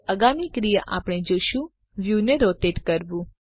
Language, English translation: Gujarati, The next action we shall see is to rotate the view